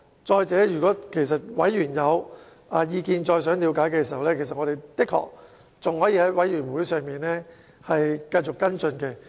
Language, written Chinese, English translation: Cantonese, 再者，如果委員想再了解更多，我們的確還可以在聯合小組委員會上繼續跟進。, Moreover if members of the Joint Subcommittee wish to further understand the matter we can continue to follow it up at future meetings